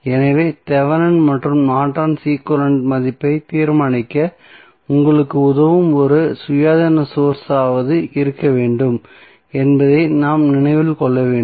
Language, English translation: Tamil, So, this we have to keep in mind that there should be at least one independent source which helps you to determine the value of Thevenin and Norton's equivalent